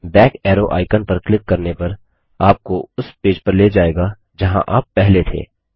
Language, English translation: Hindi, Clicking on the back arrow icon will take you back to the page where you were before